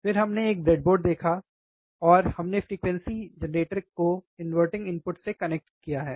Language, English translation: Hindi, Then we have seen a breadboard, and we have connected the frequency generator the signal to the input which is inverting some input